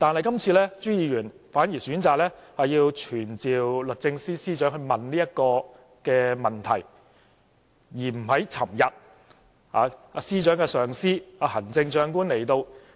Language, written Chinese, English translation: Cantonese, 然而，朱議員今次反而選擇傳召律政司司長來詢問這個問題，而不在昨天司長的上司，即行政長官來到立法會時發問。, However Mr CHU chose to summon the Secretary for Justice to ask the question instead of putting the question to her supervisor―ie the Chief Executive―when she came to the Council yesterday